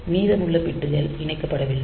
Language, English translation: Tamil, So, the rest of the bits are not connected